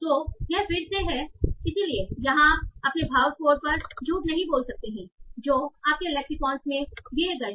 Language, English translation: Hindi, So this is again, so here you cannot just rely on your sentiment scores that are given in your lexicon